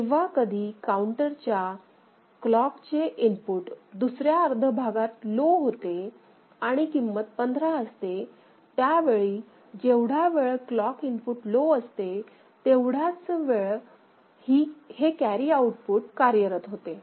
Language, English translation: Marathi, So, whenever the counter clock input goes low in the second half of it right and the value is 15, then at that time the carry output will be active ok; only for that small duration as long as this clock input is remaining low